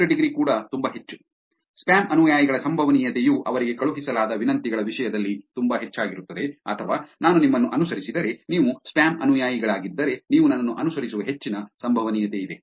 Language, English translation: Kannada, The out degree is also very high; the probability of spam followers is also very high in terms of requests sent to them or if I follow you, there is a high probability that you will follow me if you are a spam follower